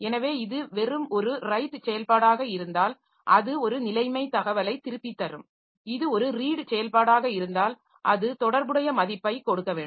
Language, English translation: Tamil, So, if it is simply a right operation then it will be returning a status information if it is a read operation then it has to give the corresponding value so this way this I